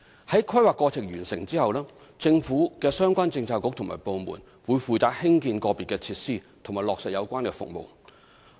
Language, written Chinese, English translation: Cantonese, 在規劃過程完成後，政府相關政策局及部門會負責興建個別設施及落實有關的服務。, Upon completion of the planning procedures relevant Policy Bureaux and departments of the Government will take the responsibility of constructing individual facilities and implementing the services concerned